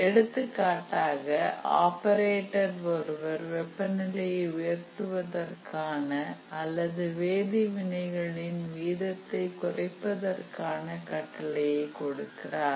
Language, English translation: Tamil, For example, let's say an operator gives a command, let's say to increase the temperature or to reduce the rate of chemical reaction